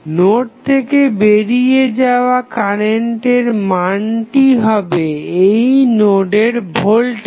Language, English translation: Bengali, So, the value of current going outside the node, this current would be the value of node voltage